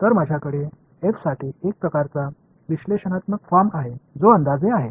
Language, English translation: Marathi, So, now I have a sort of analytical form for f which is approximation